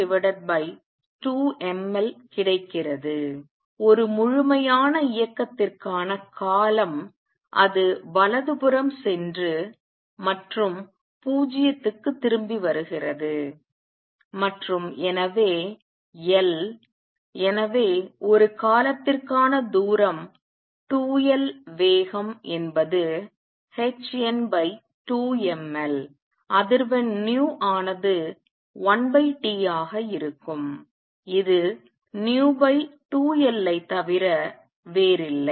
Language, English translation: Tamil, The time period for 1 complete motion is going to be when it goes to the right and comes back 0 and L therefore, the distance for a time period is 2 L speed is h n over 2 m L frequency nu is going to be one over T which is nothing but v over 2 L